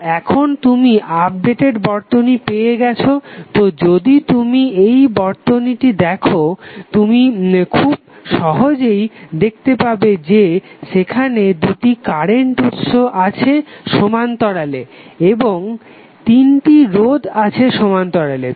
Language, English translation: Bengali, So now, you have got updated circuit from this if you see this circuit you can easily see that there are two current sources in parallel and three resistances in parallel